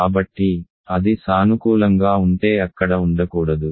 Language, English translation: Telugu, So, it cannot be there if it is positive